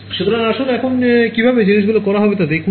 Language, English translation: Bengali, So, let us look at how things are done currently